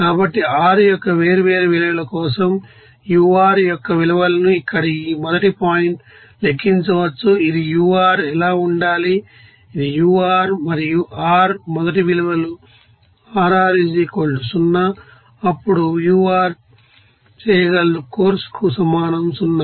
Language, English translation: Telugu, So values of ur for different values of r can be tabulated as here like this first point of that is r, what should be the ur, this is ur and r first values of r r = 0 then ur will be able is equal to of course 0